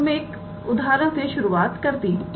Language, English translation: Hindi, So, I can start with an example